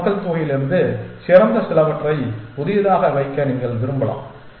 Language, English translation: Tamil, entire whole population you may want to keep some of the best ones from whole population into the new one